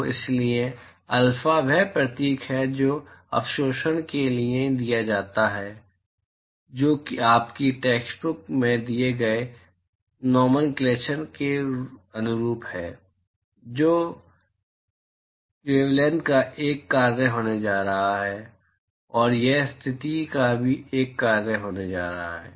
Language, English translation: Hindi, So, so alpha is the symbol which is given for absorptivity which is in in line with the nomenclature given in your textbook, that is going to be a function of the wavelength, and that is going to be a function of the position as well